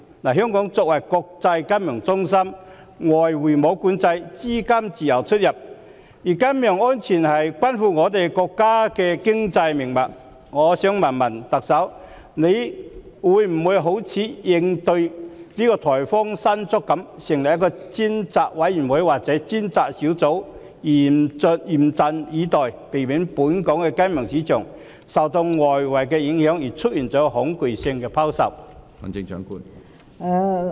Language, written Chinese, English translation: Cantonese, 香港作為國際金融中心，沒有外匯管制，資金自由出入，而金融安全關乎國家的經濟命脈，我想問特首，會否好像應對颱風"山竹"一樣，成立專責委員會或專責小組，嚴陣以待，避免本港的金融市場受外圍影響而出現恐慌性拋售？, As an international financial centre Hong Kong imposes no foreign exchange control and so capital flows freely in and out of the territory . And financial security is the economic lifeline of our country . May I ask the Chief Executive in a manner similar to coping with typhoon Mangkhut whether a dedicated committee or task force will be set up and stay vigilant so as to prevent panic selling from arising in the local financial market due to external influences?